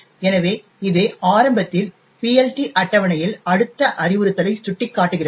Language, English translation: Tamil, So, this initially points to the next instruction in the PLT table